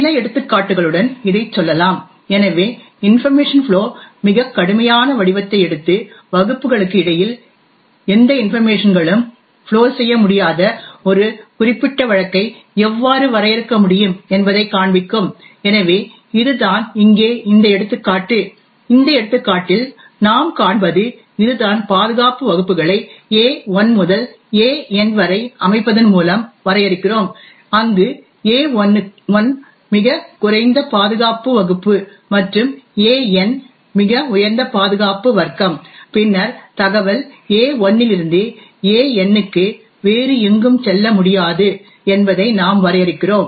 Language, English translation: Tamil, Let say this with some examples, so will take the most strictest form of information flow and show how we can define a particular case where no information can flow between classes, so that is this example over here and what we see in this example is that we define security classes by the set A1 to AN, where A1 is the lowest security class and AN is the highest security class, then we define that information can flow from AI to AI and nowhere else